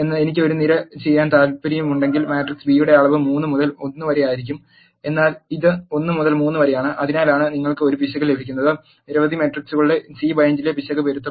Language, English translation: Malayalam, If I want to do a column bind the dimension of matrix B would have been 3 by 1, but it is 1 by 3 which is inconsistent that is why you will get an error, error in C bind of A number of matrices must match